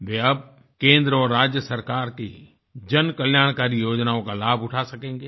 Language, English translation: Hindi, They will now be able to benefit from the public welfare schemes of the state and central governments